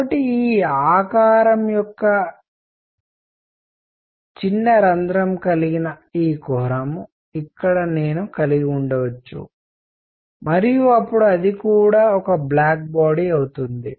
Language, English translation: Telugu, So, I could have this cavity of this shape have a small hole here and even then it will be a black body